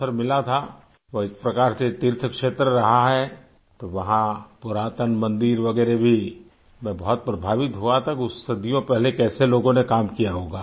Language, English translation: Hindi, In a way, it has been a pilgrimage site…there's an ancient temple as well…I was deeply touched…wonder how people would have managed the task centuries ago